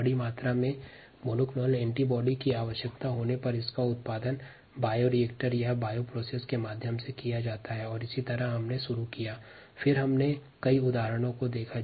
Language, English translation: Hindi, these monoclonal antibodies, when required in large amounts, are produced through by reactors or bioprocess ah, and that's how we started